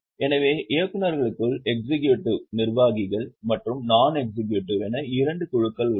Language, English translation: Tamil, So, within directors there are two groups, executive and non executive